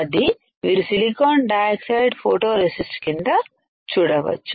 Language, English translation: Telugu, That you can see silicon dioxide below the photoresist